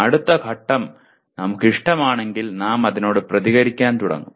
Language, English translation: Malayalam, And then next stage is, if we like it, we start responding to that